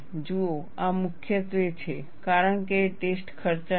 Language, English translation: Gujarati, See, this is mainly because, the test is expensive